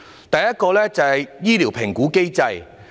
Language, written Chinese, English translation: Cantonese, 第一，醫療評估機制。, The first one is the medical assessment mechanism